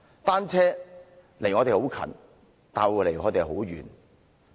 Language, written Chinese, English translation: Cantonese, 單車，離我們很近，但又離我們很遠。, Bicycles seem far away from us yet quite close to us